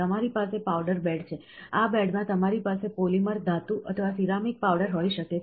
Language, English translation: Gujarati, So, you have a powder bed, so in this bed you have, you can have a polymer, metal or a ceramic powder can be there